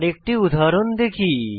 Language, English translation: Bengali, Lets us see an another example